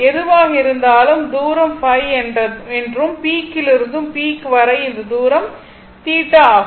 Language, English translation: Tamil, So, either this distance is phi or peak to peak this distance is phi